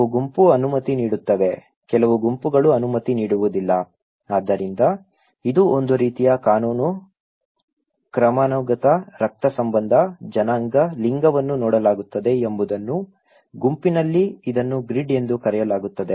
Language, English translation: Kannada, Some group permits, some group do not permit okay so, it is a kind of law, hierarchy, kinship, race, gender that how it is viewed this is in a group, this is called grid okay